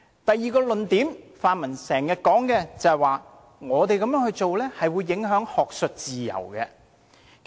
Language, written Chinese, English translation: Cantonese, 第二，泛民經常說，我們這樣做會影響學術自由。, Secondly the pan - democrats kept saying that if we do so academic freedom would be undermined